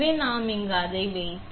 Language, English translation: Tamil, So, we put it in here